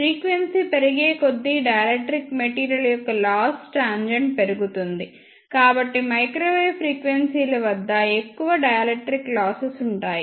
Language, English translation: Telugu, Since as frequency increases the loss tangent of a dielectric material increases, so there will be more dielectric losses at microwave frequencies